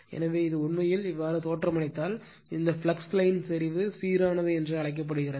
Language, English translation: Tamil, So, this is actually if you look into that, this flux line is you are called your concentric right and uniform